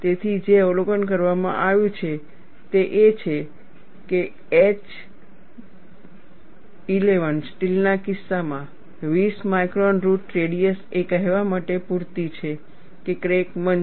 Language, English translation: Gujarati, So, what is observed is, in the case of H 11 steel, 20 micron root radius is enough to say that, the crack is blunt